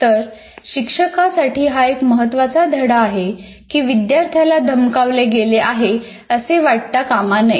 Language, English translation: Marathi, So this is one important lesson to the teachers to make sure that in no way the students feel threatened